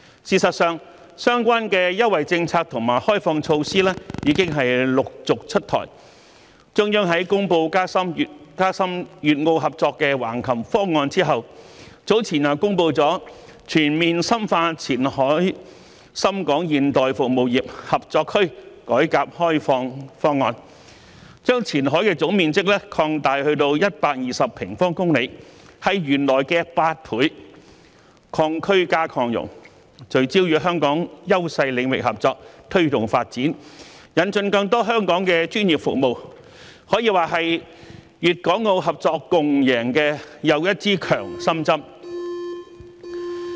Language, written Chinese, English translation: Cantonese, 事實上，相關的優惠政策和開放措施已陸續出台，中央在公布加深粵澳合作的《橫琴粵澳深度合作區建設總體方案》後，早前又公布了《全面深化前海深港現代服務業合作區改革開放方案》，將前海的總面積擴大至120平方公里，是原來的8倍，"擴區"加"擴容"，聚焦與香港優勢領域合作，推動發展，引進更多香港的專業服務，可以說是粵港澳合作共贏的又一支強心針。, In fact a series of relevant preferential policies and liberalization measures have been rolled out one after another . After announcing the Plan for the Development of the Guangdong - Macao Intensive Cooperation Zone in Hengqin to foster cooperation between Guangdong and Macao the Central Authorities also announced the Plan for Comprehensive Deepening Reform and Opening Up of the Qianhai Shenzhen - Hong Kong Modern Service Industry Cooperation Zone earlier on under which the total area of Qianhai has increased to 120 sq km eight times bigger than the original area . By expanding both the area and capacity of Qianhai the Country can focus on the cooperation with the leading areas of Hong Kong promote development and introduce more professional services from Hong Kong giving another boost to the mutually beneficial cooperation among Guangdong Hong Kong and Macao